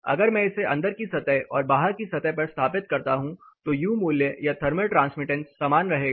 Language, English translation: Hindi, If I am introducing this on the outside surface versus the inside surface the U value or the thermal transmittance will remain the same